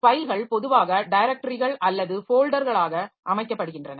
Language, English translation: Tamil, So, files are usually organized into directories or folders